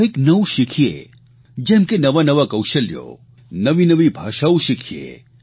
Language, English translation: Gujarati, Keep learning something new, such as newer skills and languages